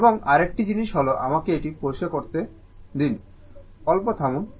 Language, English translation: Bengali, And, another thing is let me clear it, just hold on